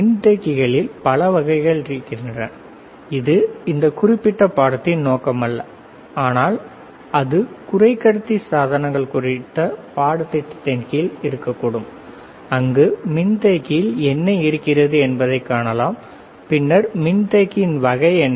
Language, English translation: Tamil, So, again capacitors are several types again this is not a scope of this particular course, but that can be that can cover under a different course on semiconductor devices, where we can see what is then within the capacitor what are kind of capacitor the kind of diodes